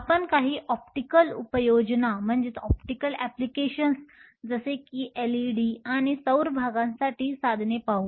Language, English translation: Marathi, We will also look at devices for some optical applications like say, LEDs and solar cells